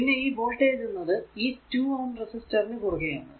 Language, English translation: Malayalam, So, and voltage across 2 ohm resistance is v 0